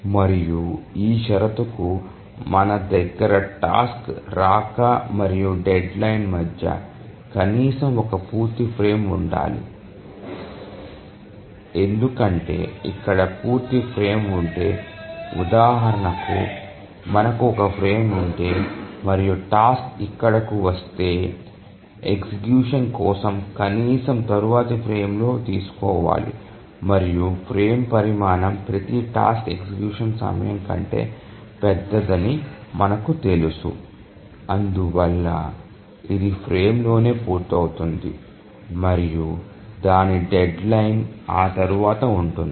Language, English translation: Telugu, Because if there is a full frame existing here, let's say we have a frame here, then if the task arrives here, then it can at least be taken up execution in the next frame and we know that the frame size is larger than every task execution time and therefore it will complete within the frame and its deadline is after that